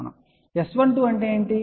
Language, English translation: Telugu, What is S 12